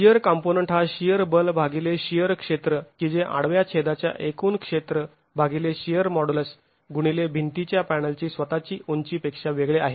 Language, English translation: Marathi, The shear component is the shear force divided by the shear area which is different from the total area of cross section of the wall divided by the shear modulus into the height of the wall panel itself